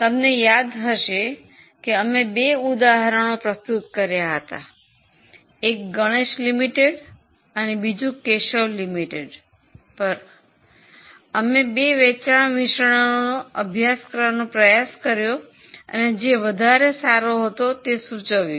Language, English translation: Gujarati, So, if you remember we had done two sums, one on Ganesh Limited and then on Keshav Limited where we try to study two sales mixes and comment on its on their suitability